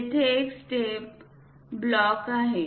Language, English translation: Marathi, There is a step block